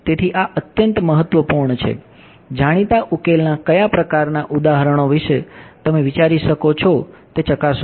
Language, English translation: Gujarati, So, this is extremely important; validate what kind of examples of known solutions can you think of